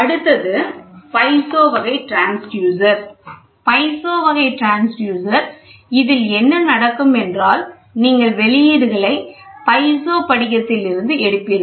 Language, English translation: Tamil, Next one is piezo type transducer, the piezo type transducer so; here what will happen is you will have a piezo crystal from which you take outputs